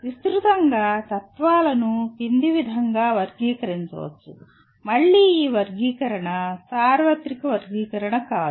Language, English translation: Telugu, Broadly, the philosophies can be classified under, again this classification is not the universal classification